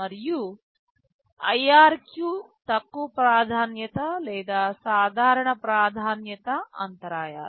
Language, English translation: Telugu, And IRQ is the low priority or the normal priority interrupts